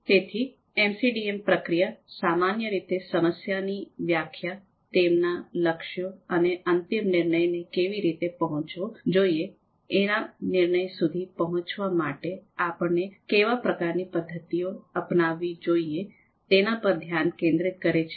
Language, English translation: Gujarati, So focusing on defining the problem, their goals and how the final decision should be reached, the kind of method that we are going to adopt to reach the decision